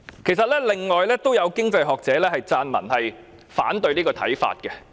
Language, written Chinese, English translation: Cantonese, 事實上，已有經濟學者撰文反對這個看法。, In fact an economist has written an article to oppose such a view